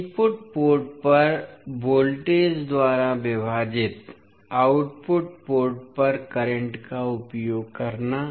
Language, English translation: Hindi, So using current at output port divided by voltage at input port